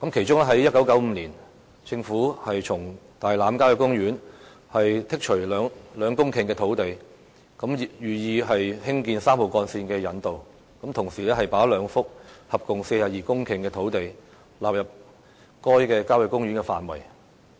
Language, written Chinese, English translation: Cantonese, 在1995年，政府從大欖郊野公園剔除兩公頃的土地，以興建3號幹線的引道，同時把兩幅合共42公頃的土地納入該郊野公園的範圍。, In 1995 the Government excised 2 hectares of land from the Tai Lam Country Park to develop an approach road for Route 3 . At the same time the Government incorporated two pieces of land with a total area of 42 hectares into the same country park